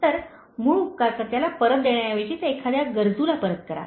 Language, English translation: Marathi, So, instead of paying back to the original benefactor, return it to someone needy